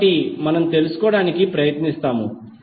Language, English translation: Telugu, So what we will try to find out